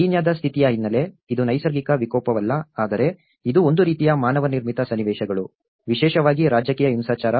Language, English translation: Kannada, The background of Kenyan condition, it is not a natural disaster but it is a kind of manmade situations especially the political violence